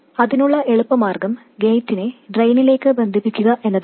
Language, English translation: Malayalam, And the easiest way to do that is to connect the gate to the drain